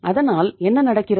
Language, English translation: Tamil, So what is happening